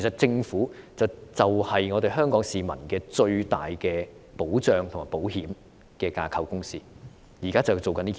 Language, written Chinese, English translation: Cantonese, 政府就是香港市民最大的保障和保險架構，現在就是要做這件事。, The Government is the largest structure to protect and insure the people of Hong Kong . It is high time to make it happen